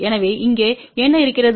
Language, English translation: Tamil, So, what we have here